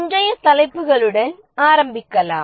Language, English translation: Tamil, Let's start with today's topics